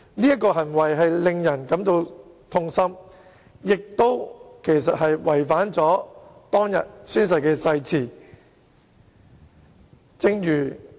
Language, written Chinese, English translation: Cantonese, 他的行為實在令人感到痛心，也違反當天宣誓的誓言。, His conduct was most distressing . It was also in breach of the oath he had taken on the day he assumed office